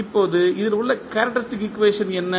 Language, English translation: Tamil, Now, what is the characteristic equation in this